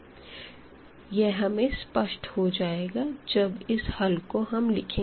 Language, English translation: Hindi, Here we do see once we have written this solution here